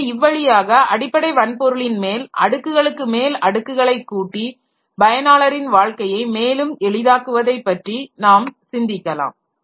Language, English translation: Tamil, So, this way we can think about adding layers after layers to the basic hardware over and above the basic hardware to make the life of the user easier and easier